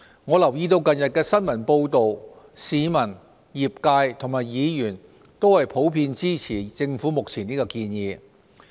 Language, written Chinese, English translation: Cantonese, 我留意到近日的新聞報道，市民、業界和議員普遍支持政府目前的建議。, I notice from the recent media reports that the public the industry and Members generally support this proposal from the Government